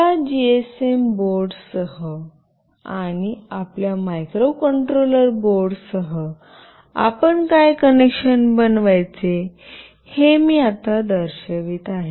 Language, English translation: Marathi, Now I will be showing you what connection you have to make with this GSM board, and with your microcontroller board